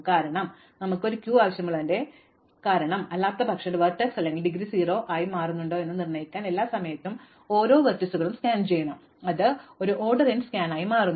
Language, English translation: Malayalam, Because, the reason why we need this queue is that otherwise we have to scan all the vertices every time to determine whether a vertex has become indegree 0, then that becomes an order n scan within this so it becomes order n square again